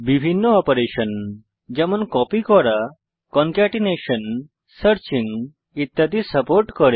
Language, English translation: Bengali, Various operations such as copying, concatenation, searching etc are supported